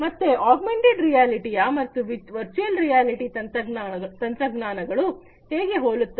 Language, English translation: Kannada, So, this is how these technologies compare augmented reality and virtual reality